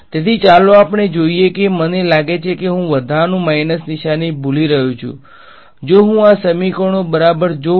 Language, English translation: Gujarati, So, let us see I have a feeling I missing minus there is a extra minus sign over here right if I look at these equations yeah right